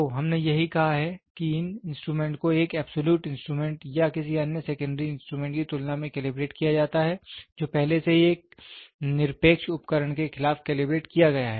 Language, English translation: Hindi, So, that is what we said these instruments are calibrated by comparison with an absolute instrument or another secondary instrument which has already been calibrated against an absolute instrument